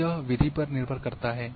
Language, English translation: Hindi, So, it depends on the phenomena